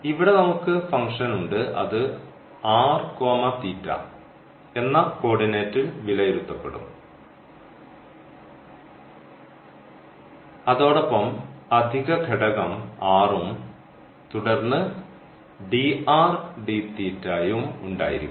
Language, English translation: Malayalam, So, here also we have the function and then that will be evaluated r at this coordinate here r theta, and they will be additional factor r and then dr d theta